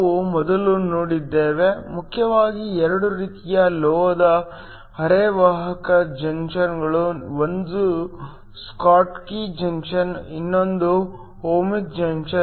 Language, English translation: Kannada, We have seen earlier that there essentially 2 kinds of metal semiconductor junctions, 1 is your Schottky junction, the other is the Ohmic junction